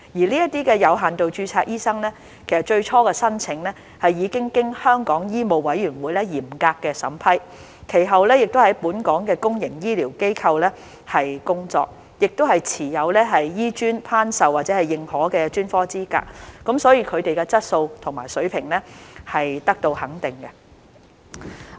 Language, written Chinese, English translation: Cantonese, 這些有限度註冊醫生，最初的申請其實已經經香港醫務委員會嚴格審批，其後亦在本港的公共醫療機構工作，亦持有香港醫學專科學院頒授或認可的專科資格，所以他們的質素和水平是得到肯定的。, In fact before working in Hong Kongs public healthcare institutions the applications of these doctors under limited registration were first vigorously scrutinized by the Medical Council of Hong Kong . They also hold the specialist qualifications awarded or accredited by the Hong Kong Academy of Medicine HKAM . Hence their quality and standard are recognized